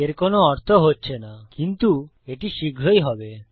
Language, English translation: Bengali, This doesnt seem to make any sense but it will soon